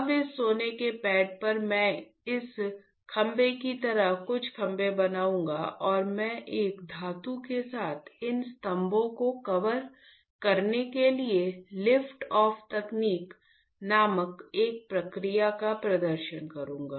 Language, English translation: Hindi, Now, on this gold pad I will fabricate some pillars like this pillars and I will perform a process called lift off, lift off technique to coat these pillars with a metal